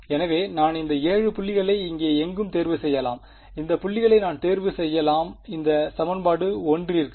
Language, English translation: Tamil, So, I could choose these 7 points anywhere here, I could choose these points like this right for this is for equation 1